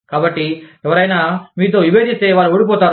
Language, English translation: Telugu, So, if somebody disagrees with you, they can lose